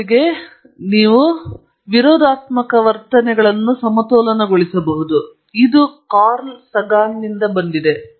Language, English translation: Kannada, First you balance two seemingly contradictory attitudes; this is from Carl Sagan